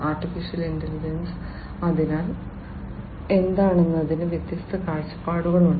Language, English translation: Malayalam, Artificial Intelligence so, there are different viewpoints of what AI is